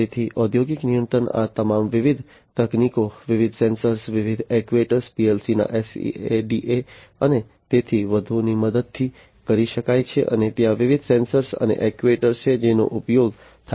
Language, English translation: Gujarati, So, industrial control can be done with the help of all of these different technologies, different sensors, different actuators, based on PLC’s SCADA and so on and there are different sensors and actuators that are used